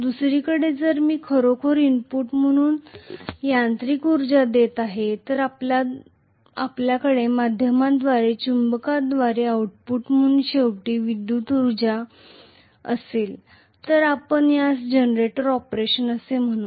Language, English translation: Marathi, On the other hand, if I am actually giving mechanical energy as the input and we are going to have ultimately electrical energy as the output through the magnetic via media again, we call this as the generator operation